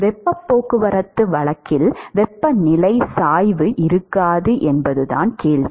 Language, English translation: Tamil, Right if you assume in heat transport case the question is will there not be a temperature gradient